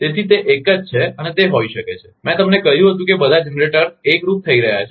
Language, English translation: Gujarati, So, it is a single one and it can be, I told you the all the generators are showing in unison